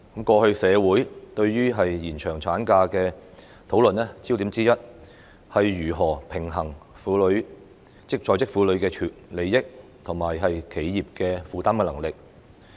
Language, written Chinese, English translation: Cantonese, 過去社會對於延長產假的討論焦點之一，是如何平衡在職婦女的利益，以及企業負擔的能力。, In the past one of the focuses of the communitys discussion on the extension of ML was how to strike a balance between the interests of working women and the abilities of enterprises to afford the benefit